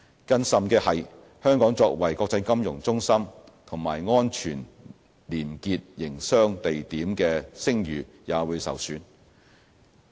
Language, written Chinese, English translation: Cantonese, 更甚的是，香港作為國際金融中心和安全廉潔營商地點的聲譽也會受損。, More importantly this will affect our reputation as an international financial center and a safe and clean city for doing business